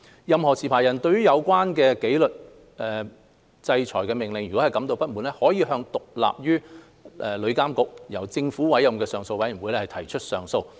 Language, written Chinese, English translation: Cantonese, 任何持牌人對有關紀律制裁命令感到不滿，可向獨立於旅監局，由政府委任的上訴委員會提出上訴。, Any licensee who is dissatisfied with a disciplinary order can appeal to a Government - appointed appeal panel independent from TIA